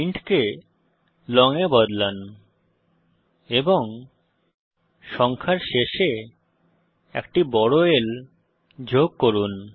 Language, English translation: Bengali, Change int to long and add a capital L at the end of the number